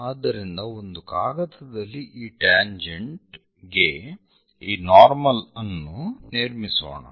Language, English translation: Kannada, So, let us construct this normal on tangent on sheet